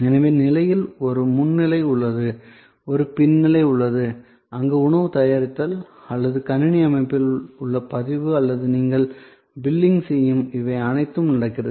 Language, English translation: Tamil, So, there is a front stage, on stage and then there is a back stage, where preparation of the food or your registration in the computer system or your billing when you are checking out, all of these are happening